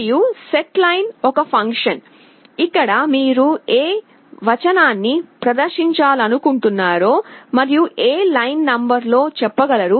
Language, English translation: Telugu, And setLine is a function, where you can tell what text you want to display and in which line number